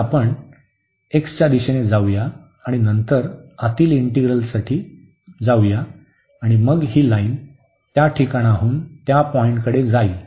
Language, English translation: Marathi, So, let us go in the direction of x and then for the inner integral and then this line will move from this to that point